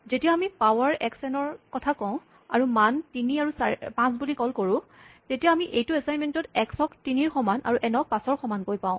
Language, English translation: Assamese, So, when we say power x n, and we call it values with 3 and 5, then we have this assignment x equal to 3 and n equal to 5